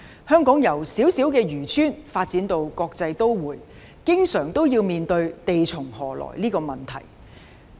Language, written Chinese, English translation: Cantonese, 香港由小小漁村發展至國際都會，經常要面對"地從何來"這個問題。, Hong Kong has developed from a small fishing village to a cosmopolitan city . We face the land shortage problem all the time